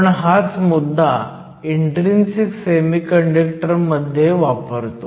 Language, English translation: Marathi, Let us start first with intrinsic semiconductors